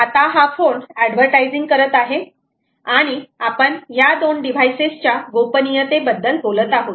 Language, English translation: Marathi, this is the phone that is advertising and we are talking about privacy of these two devices